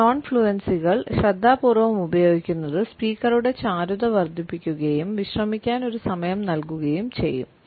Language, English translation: Malayalam, A careful use of these non fluencies can also add to the fluency of the speaker and give a time to relax